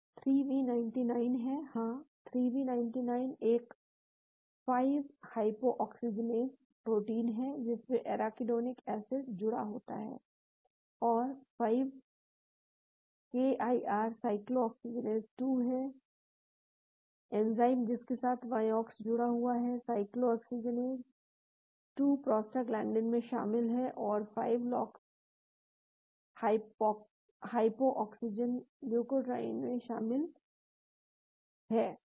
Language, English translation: Hindi, 3v99 is; yeah 3v99 is a 5 hypooxygenase protein with the arachidonic acid bound to it and 5 KIR is cyclooxygenase 2, enzyme with Vioxx bound to it, cyclooxygenase 2 is involved in prostaglandins and 5lox hypooxygenase is involved in leukotrienes